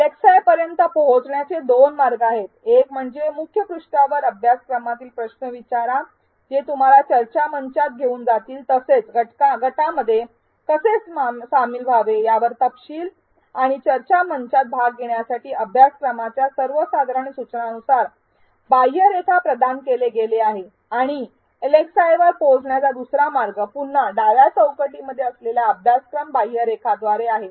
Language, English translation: Marathi, There are two ways to reach to the LxIs one is through the ask a question present on the course home page which will take you to the discussion forum, details on how to join a group and participate on the discussion forum has been provided under general instructions in the course outline and the other way to reach to the LxIs is again through the left panel of the course outline